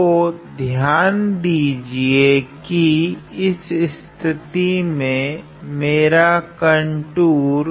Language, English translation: Hindi, So, notice that in this case my contour